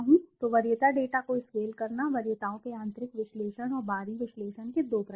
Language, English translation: Hindi, So scaling preference data, there are 2 types of internal analysis of preferences and external analysis